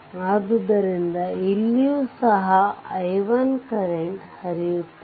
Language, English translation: Kannada, So, here also that i 1 current is flowing